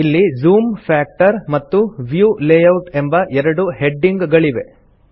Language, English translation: Kannada, It has headings namely, Zoom factorand View layout